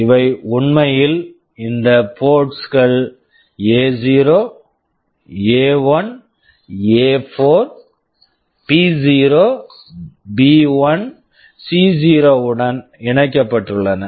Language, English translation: Tamil, And these are actually connected to these ports A0, A1, A4, B0, B1, C0